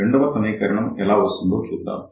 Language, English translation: Telugu, So, let us see how we can write the equation